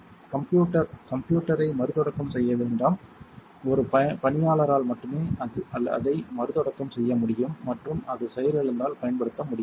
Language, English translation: Tamil, Do not restart the system computer, it can only be restarted by a staff member and will be unavailable for use when it is down